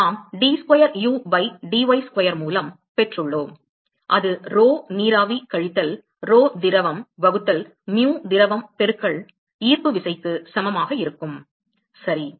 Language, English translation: Tamil, So, we have d square u by dy square that is equal to rho vapor minus rho liquid divided by mu liquid into gravity ok